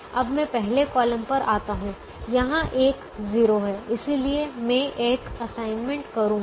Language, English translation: Hindi, so if i look at the first column, the first column has only one zero and therefore i can make an assignment here